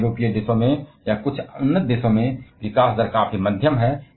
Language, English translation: Hindi, Where in European countries or in some advanced nations, the growth rate is quite moderate